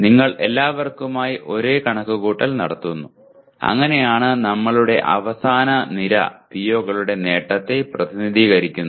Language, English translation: Malayalam, You do the same calculation for all and this is how we get our the last column represents the attainment of POs